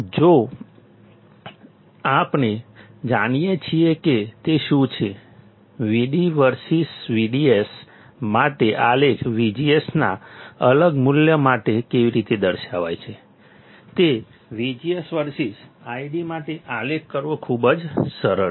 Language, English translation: Gujarati, If we know, what it is, how the plot for I D versus V D S looks like for different value of V G S, it is very easy to plot I D versus V G S